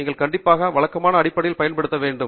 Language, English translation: Tamil, You should definitely have one which you use on a regular basis